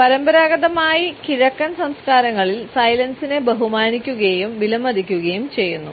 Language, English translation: Malayalam, Conventionally silence is respected in Eastern cultures and it is valued